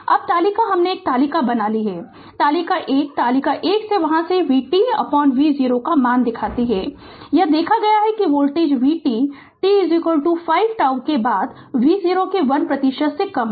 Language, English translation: Hindi, Now table I have make a table, table 1 shows the value of v t by V 0 from there your from table 1 it is seen that the voltage v t is less than 1 percent of V 0 after t is equal to 5 tau